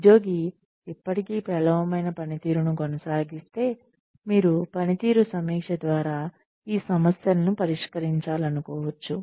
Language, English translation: Telugu, If the employee, still continues to perform poorly, then you may want to address these issues, via a performance review